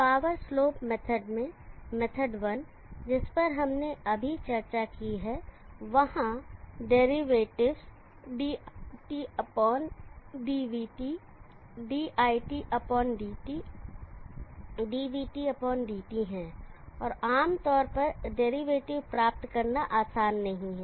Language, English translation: Hindi, In the power slope method 1that we discussed there are derivatives dit/dvt, dit/dtr, dvt/dt, and it is generally not easy to obtain derivatives